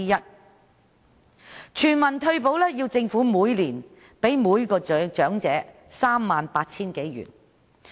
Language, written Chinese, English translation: Cantonese, 在推行全民退休保障下，政府每年會向每名長者派發 38,000 多元。, If universal retirement protection is to be implemented the Government will disburse some 38,000 to every elderly person a year